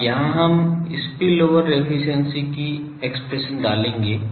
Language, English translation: Hindi, Now, here we will put the expression of spillover efficiency